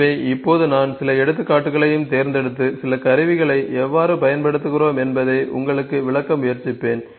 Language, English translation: Tamil, So, now I will try to pick some examples and try to explain you how do we use certain tools